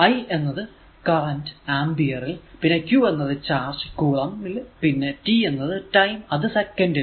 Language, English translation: Malayalam, 1, that i is that current in ampere, q is the charge in coulombs and t the time in second